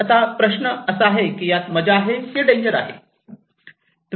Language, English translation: Marathi, Now the question, is it a fun or danger